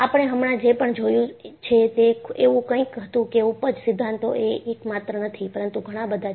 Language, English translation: Gujarati, So, what we have just now, saw was that, yield theories are not just one, but many